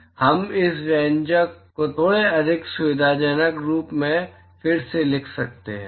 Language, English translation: Hindi, So, we can rewrite this expression in a slightly more convenient form